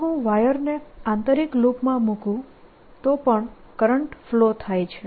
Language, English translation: Gujarati, if i put the wire, the inner loop, then also the current flows